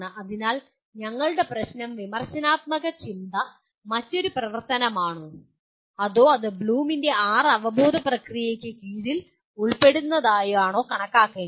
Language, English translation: Malayalam, So our issue is, is critical thinking is another activity or is it can be considered subsumed under six cognitive processes of Bloom